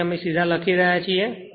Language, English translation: Gujarati, So, directly we are writing